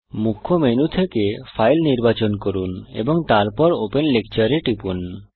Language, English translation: Bengali, From the Main menu, select File, and then click Open Lecture